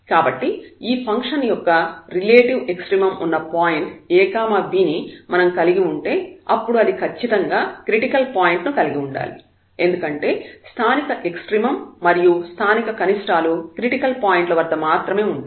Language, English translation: Telugu, So, if we have a point a b where the relative extremum exists of this function then definitely that has to be a critical point because those x, local extremum and local minimum will exist only on the critical points